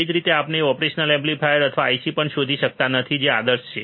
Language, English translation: Gujarati, Same way we cannot also find operation amplifier or IC which is ideal